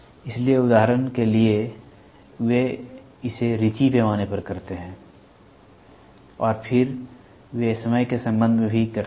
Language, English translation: Hindi, So, for example, they do it on riche scales and then they also do it with respect to time